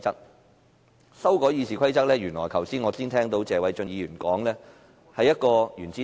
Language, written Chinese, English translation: Cantonese, 有關修改《議事規則》，我剛才聽到謝偉俊議員說這是一顆"原子彈"。, As regards amendment of RoP I heard Mr Paul TSE say just now it is an atomic bomb